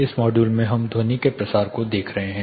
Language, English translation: Hindi, We will here look at how sound propagates